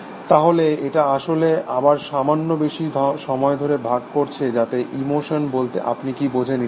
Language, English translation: Bengali, again the slightly longer divide as so what do you mean by emotion and so on and so forth